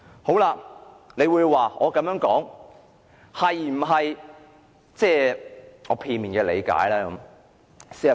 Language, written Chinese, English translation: Cantonese, 大家或會指我的言論是基於我片面的理解。, Members may say that my speech is based on my one - sided understanding of the matter